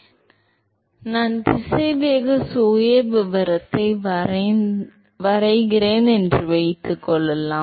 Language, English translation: Tamil, Now, suppose if I draw the velocity profile